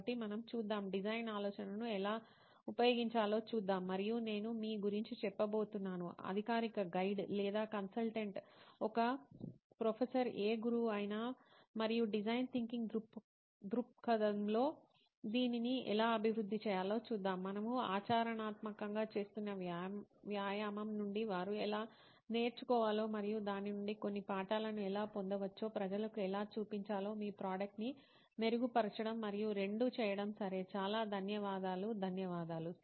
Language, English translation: Telugu, So let us see, we will see how to use design thinking and I am going to be your let us say official guide, or consultant, okay professor, whatever mentor maybe and we will see how to evolve this in the design thinking perspective one in making your product better and two to see how to demonstrate to people how they can learn from the exercise that we are doing practically and get some lessons out of it, okay so thank you so much, thank you